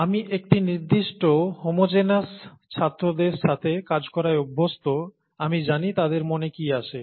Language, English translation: Bengali, I’m used to dealing with a certain homogenous set of students, I know what comes to their mind